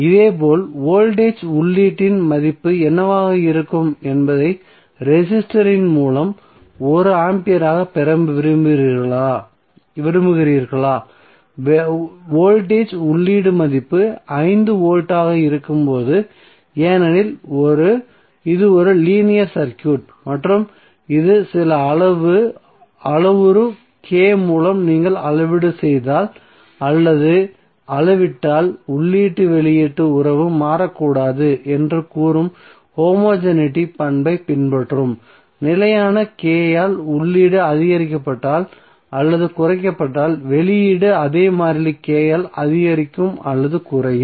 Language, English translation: Tamil, Similarly is you want to get current as 1 ampere through the resistor what would be the value of the voltage input, the voltage input value would be 5 volts because this is a linear circuit and it will follow the homogeneity property which says that if you scale up or scale down through some parameter K the input output relationship should not change